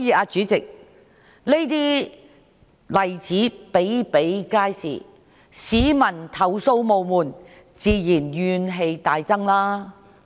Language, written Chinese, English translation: Cantonese, 主席，這些例子比比皆是，市民投訴無門，自然怨氣大增。, President there are many such instances . The public cannot find the right channel to complain and therefore they have grave grievances